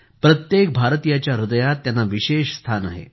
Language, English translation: Marathi, He has a special place in the heart of every Indian